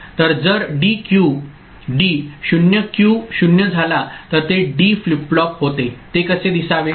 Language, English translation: Marathi, So, if D is 0 Q becomes 0 that is what the D flip flop how it should look like